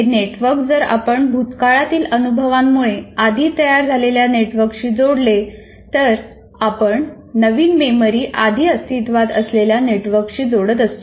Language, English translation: Marathi, If this network that we formed is now linked to other networks, which are already formed in our past experience, that means we are relating the new memory to the existing frameworks, existing networks